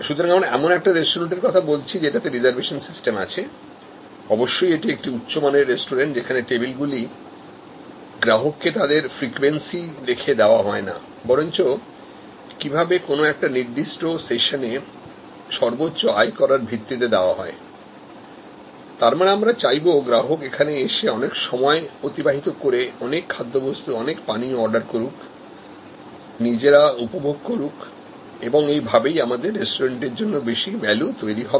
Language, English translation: Bengali, So, we can have a restaurant which has a reservation system; obviously, a fine dining restaurant, where tables are given to customers not on the basis of frequency, but on the basis of maximizing the revenue from a particular session, which means that, we want the customer to spent more time, order more food, more drinks, enjoy themselves and in the process also, create more value for the restaurant